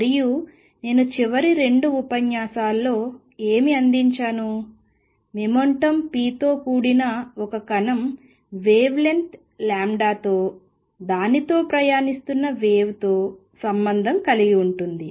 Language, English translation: Telugu, And what I have presented the last couple of lecturers is that a particle with momentum p has wavelength lambda associated with the waves travelling with it; that means, lambda wave is h over p